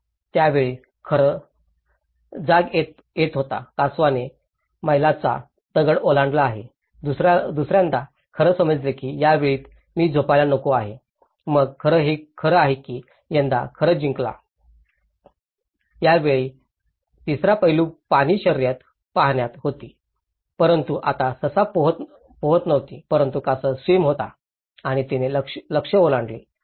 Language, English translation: Marathi, By the time, the hare was awake, tortoise have crossed the milestone, in the second time, hare realized that it is this time I should not sleep, so then it has make sure then the hare won this time, the third aspect this time the water; the race was in water but now hare didn’t swim but the tortoise swam and she crossed the target